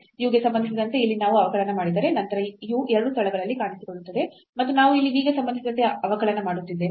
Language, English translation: Kannada, So, what is important if you are differentiating here with respect to u then this u will appear both the places and if we are differentiating with respect to v here